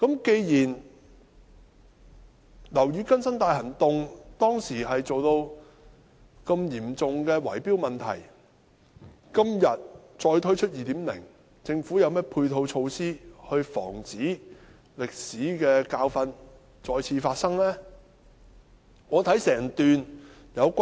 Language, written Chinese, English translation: Cantonese, 既然"樓宇更新大行動"當時出現這麼嚴重的圍標問題，今天再推出 "2.0" 時，究竟政府有何配套措施防止這歷史教訓再次發生呢？, Given the occurrence of such serious bid - rigging in OBB at that time what complementary measures does the Government have to prevent the recurrence of such a historical lesson in the implementation of 2.0 today?